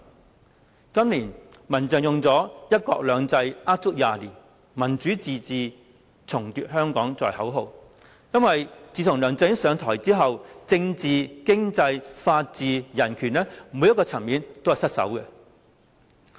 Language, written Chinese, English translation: Cantonese, 民間人權陣線今年以"一國兩制呃足廿年；民主自治重奪香港"作為口號，因為自從梁振英上台之後，政治、經濟、法治、人權每個層面都失守。, The Civil Human Rights Front adopts One country two systems a lie of 20 years; Democratic self - government retake Hong Kong as this years slogan for areas such as politics the economy rule of law and human rights are all at stake following LEUNG Chun - yings assumption of office